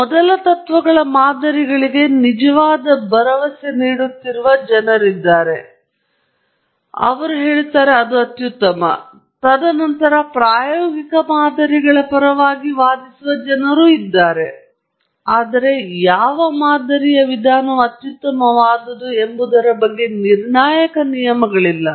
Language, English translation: Kannada, There are people who really vouch for first principles models, and say, that’s the best and so on; and then, there are people who argue in favor of empirical models and so on, but there is no hard and definitive rule as to which modelling approach is the best